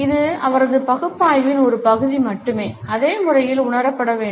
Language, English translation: Tamil, It is a part of his analysis only and has to be perceived in the same manner